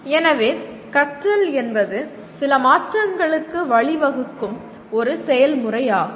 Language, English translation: Tamil, So, what we are saying is learning is a process that leads to some change